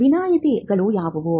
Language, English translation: Kannada, What are the exceptions